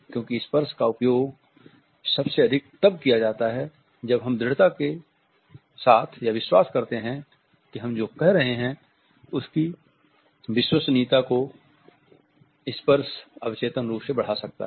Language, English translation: Hindi, Because touch is used most often when we believe strongly in what we are saying touching can subconsciously enhance your credibility